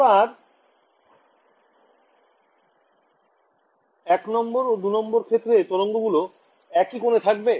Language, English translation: Bengali, Now, region I and region II will the waves be travelling at the same angle